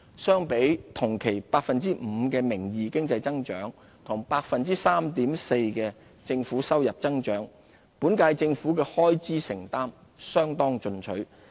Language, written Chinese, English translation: Cantonese, 相比同期 5% 的名義經濟增長和 3.4% 的政府收入增長，本屆政府的開支承擔相當進取。, Compared with the nominal GDP growth of 5 % and government revenue growth of 3.4 % for the same period expenditure growth of the current - term Government is considerable